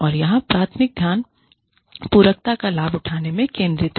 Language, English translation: Hindi, And, the primary focus here is on, leveraging complementarity